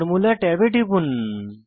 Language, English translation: Bengali, Click on the Formula tab